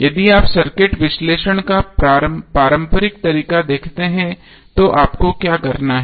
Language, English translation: Hindi, If you see the conventional way of circuit analysis what you have to do